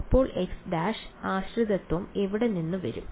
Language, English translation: Malayalam, So, where will the x prime dependence come from